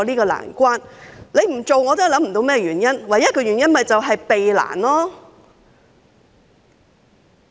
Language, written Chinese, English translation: Cantonese, 局長不這樣做，我也想不到原因，唯一的原因便是避難。, I can think of no reason for the Secretary not to do so . The only possible reason is to avoid difficulties